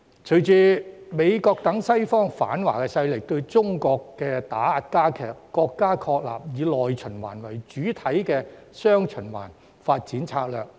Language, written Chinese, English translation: Cantonese, 隨着美國等西方反華勢力對中國的打壓加劇，國家確立以內循環為主體的雙循環發展策略。, In response to the intensified suppression of China from the Western anti - Chinese forces including the United States China has established the development strategy featuring dual circulation which takes the domestic market as the mainstay